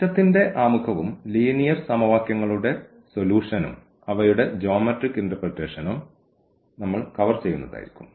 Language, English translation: Malayalam, So, we will be covering the introduction to the system and also the solution of the system of linear equations and their geometrical interpretation